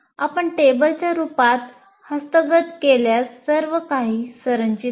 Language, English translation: Marathi, If you capture it in the form of a table, it will, everything is structured